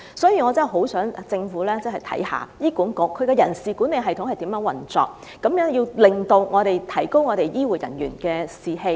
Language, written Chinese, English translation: Cantonese, 所以，我極盼政府能審視醫管局的人事管理制度的運作情況，提高醫護人員的士氣，提高......, Therefore I very much hope that the Government will review the operation of HAs personnel management system boost the morale of healthcare personnel and increase